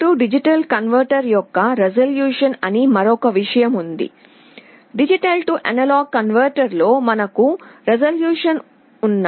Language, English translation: Telugu, There is another thing called resolution of an A/D converter, just like in a D/A converter we had resolution